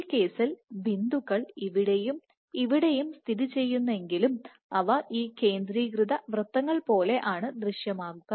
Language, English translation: Malayalam, So, in this case the dots will be positioned here and here, but the dots will appear like these concentric circles